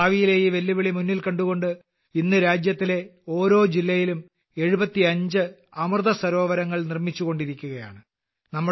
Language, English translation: Malayalam, Looking at this future challenge, today 75 Amrit Sarovars are being constructed in every district of the country